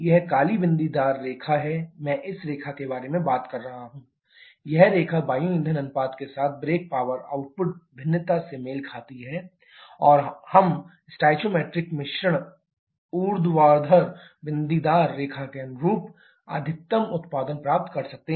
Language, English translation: Hindi, This black dotted line is I am talking about this line, this line corresponds to the brake power output variation with air fuel ratio, and we get the maximum output corresponding to stoichiometric mixture vertical dotted line